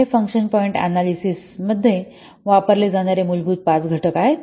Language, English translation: Marathi, Let's see what are the key components of function point analysis